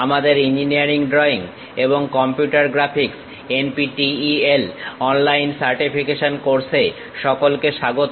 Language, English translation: Bengali, Welcome to our online NPTEL certification courses on Engineering Drawing and Computer Graphics